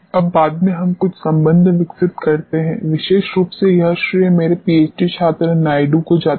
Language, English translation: Hindi, Now, subsequently we develop some relationship particularly this credit goes to my PhD scholar Naidu